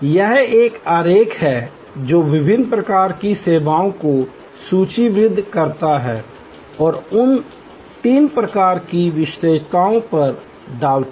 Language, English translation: Hindi, This is a diagram that list different kinds of services and puts them on these three types of attributes